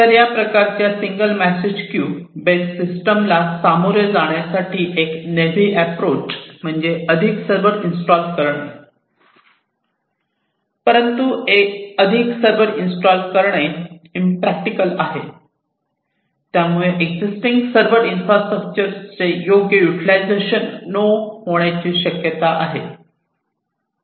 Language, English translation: Marathi, So, a naive approach to deal with this kind of single message queue based system is to install more servers, but installing more servers is impractical, and it might also lead to not proper utilization of this existing server infrastructure